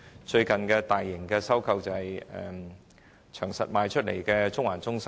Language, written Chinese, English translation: Cantonese, 最近的大型收購例子是長實出售的中環中心。, One of the major recent transactions was the sale of The Center held by CK Asset Holdings Limited